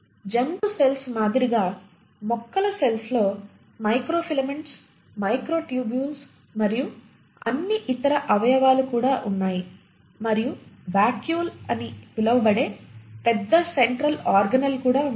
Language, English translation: Telugu, So like animal cells, the plant cells also has microfilaments, microtubules and all the other organelles plus they end up having a central large organelle which is called as the vacuole